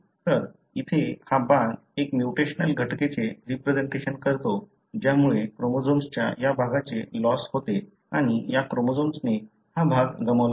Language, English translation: Marathi, So, the arrow here represents a mutational event which results in loss of this region of the chromosome and this chromosome has lost this region